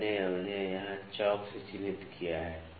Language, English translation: Hindi, I have marked them with chalk here